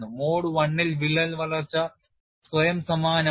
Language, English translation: Malayalam, In mode one, the crack growth is self similar